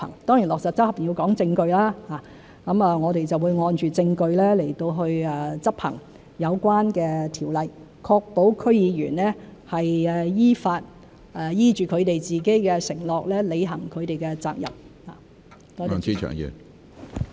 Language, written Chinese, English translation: Cantonese, 當然落實、執行要講證據，我們會按證據來執行有關條例，確保區議員依法、依着自己的承諾履行他們的責任。, Certainly implementation and enforcement will be evidence - based . We will enforce the relevant legislation basing on evidence ensuring that DC members will fulfil their duties according to the law and their undertakings